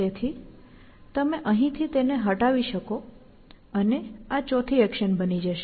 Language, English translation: Gujarati, So, you can do this, and this becomes the fourth action